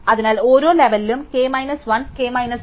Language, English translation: Malayalam, So, for each level k minus 1 k minus 2 that it